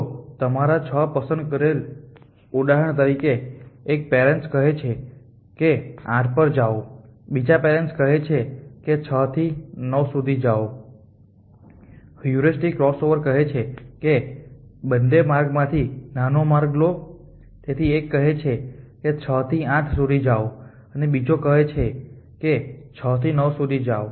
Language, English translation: Gujarati, For example, as a starting point 1 parent says go to 8 the other parent says go to 9 from 6 the heuristic crossover says that take the short a of the 2 adjust so 1 says go from 6 to 8 1 goes other says go to 6 to 9